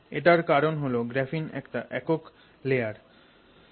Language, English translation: Bengali, Graphite is full of graphene sheets